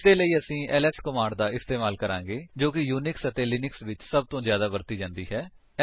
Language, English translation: Punjabi, For this, we have the ls command which is probably the most widely used command in Unix and Linux